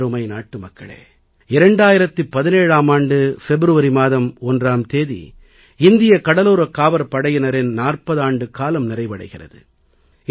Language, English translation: Tamil, My dear countrymen, on 1st February 2017, Indian Coast Guard is completing 40 years